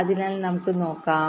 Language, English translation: Malayalam, ok, so lets see